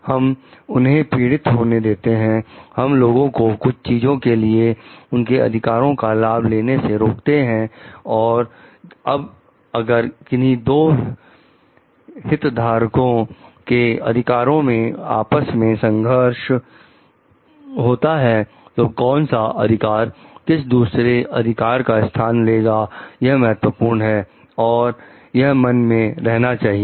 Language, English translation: Hindi, We are we making them suffer, we are not allowing people to enjoy their rights for something so, and now if rights of two stakeholders are coming to conflict with each other then, which right is supersedes the other right these are important thoughts to be kept in mind